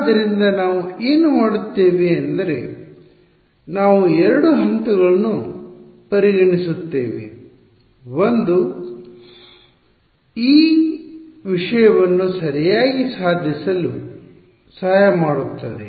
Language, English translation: Kannada, So, what we will do is we will we will take consider 2 steps which will help us to accomplish this thing ok